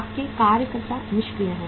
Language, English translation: Hindi, Your workers are idle